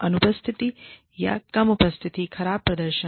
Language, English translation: Hindi, Absence or poor attendance, is another one